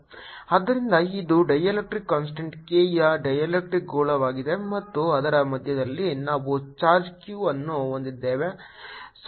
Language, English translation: Kannada, so this is a dielectric sphere of dielectric constant k and we have a charge q at the centre of it